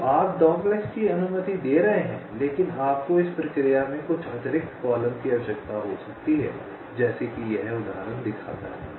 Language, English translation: Hindi, so you are allowing doglegs but you may required some additional columns in the process, as this example shows right